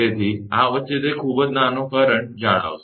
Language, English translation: Gujarati, So, between this it will maintain a very small current